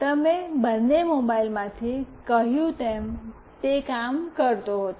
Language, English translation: Gujarati, As you said from both the mobiles, it was working